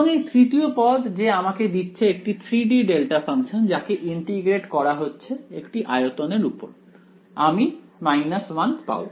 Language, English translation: Bengali, And the third term is going to give us so 3 D delta function integrated over that volume I should get minus 1 ok